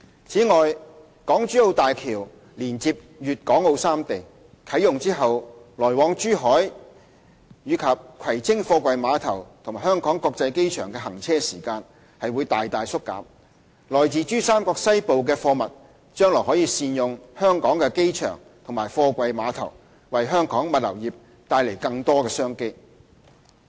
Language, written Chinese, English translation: Cantonese, 此外，港珠澳大橋連接粵港澳三地，啟用後來往珠海至葵青貨櫃碼頭和香港國際機場的行車時間大大縮減，來自珠三角西部的貨物將來可善用香港的機場和貨櫃碼頭，為香港物流業帶來更多商機。, Moreover the Hong Kong - Zhuhai - Macao Bridge which connects Guangdong Hong Kong and Macau will significantly shorten the travelling time between Zhuhai and the Kwai Tsing Container Terminal and HKIA upon commissioning . Cargo originated from western PRD can make better use of Hong Kongs airport and container port thereby generating more business opportunities for our logistics industry